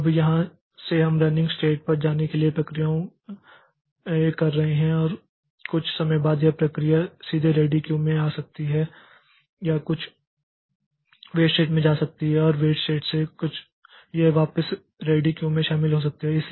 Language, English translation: Hindi, Now from here so we are taking processes to go to the running state and after some time the process may be coming back to ready queue directly or it may be going to some some weight state and from the weight it joins back to the ready queue